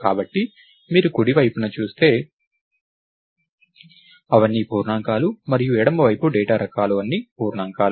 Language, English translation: Telugu, So, if you look at the right side, they are all integers and the left side data types are all integers